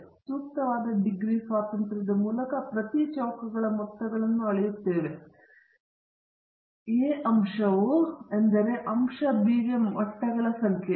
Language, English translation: Kannada, And we scale each of the sum of squares by the appropriate degrees of freedom; A is the number of levels for factor a, B is the number of levels for factor b